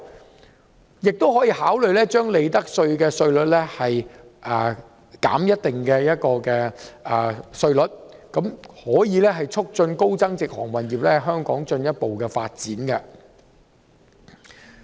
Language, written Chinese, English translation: Cantonese, 政府亦可考慮將利得稅減至某個稅率，以促進高增值航運業在香港的進一步發展。, The Government may also consider reducing the profits tax to a certain tax rate to promote the further development of the high value - added shipping industry in Hong Kong